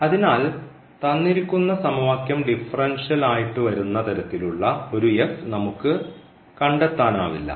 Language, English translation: Malayalam, So, that is the solution of this differential equation which we have considered